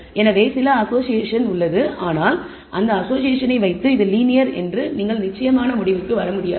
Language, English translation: Tamil, So, there is some association, but perhaps the association you cannot definitely conclude it is linear it may be non linear